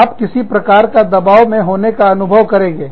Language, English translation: Hindi, You feel under, some kind of a pressure